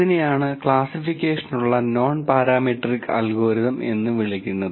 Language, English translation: Malayalam, It is, what is called a nonparametric algorithm for classification